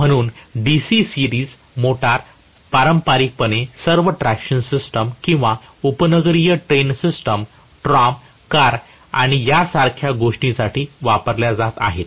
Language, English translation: Marathi, That is the reason why DC series motors have been conventionally used for all the traction systems or suburban train system, tram, car and things like that